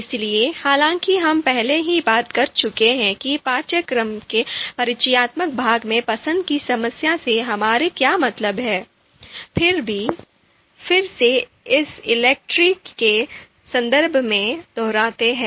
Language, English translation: Hindi, So, though we have already talked about what we mean by choice problem in the introductory part of the course, however, let us you know again reiterate it in the context of ELECTRE